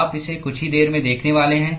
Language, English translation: Hindi, You are going to see that in a short while